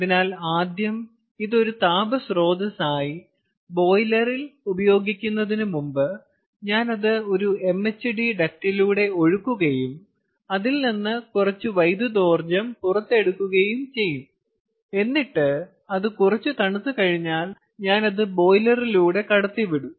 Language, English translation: Malayalam, so first, before it is used in the boiler as a heat source, i will make it flow through an mhd duct and extract some of the electrical energy out of it, and then, once it as cooled down, i will let it go through the boiler and where it will be used to heat up the water clear